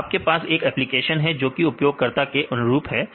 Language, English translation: Hindi, So, you have the applications that should be user friendly